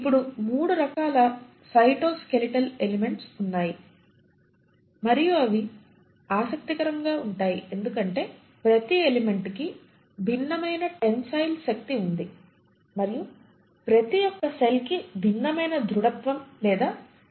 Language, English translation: Telugu, Now there are 3 different kinds of cytoskeletal elements, and that is interesting to note because each of these elements have different tensile strength and each of them will provide a different rigidity to the cell